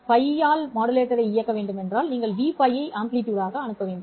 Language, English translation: Tamil, To operate the modulator at pi your amplitude should be v pi